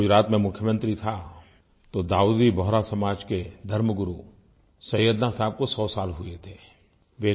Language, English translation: Hindi, When I was Chief Minister of Gujarat, Syedna Sahib the religious leader of Dawoodi Bohra Community had completed his hundred years